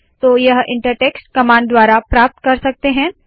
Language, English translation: Hindi, This can be achieved using the inter text command